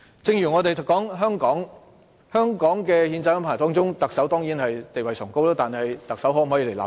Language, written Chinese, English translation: Cantonese, 正如香港的憲制中，特首的地位當然崇高，但特首可否立法？, Just as the Chief Executive certainly enjoys a lofty status in the constitution system of Hong Kong but can the Chief Executive make laws?